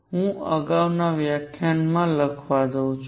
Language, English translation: Gujarati, Let me write in the previous lecture